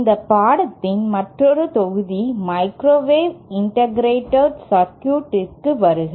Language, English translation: Tamil, Welcome to another module in this course ÔMicrowave integrated circuitsÕ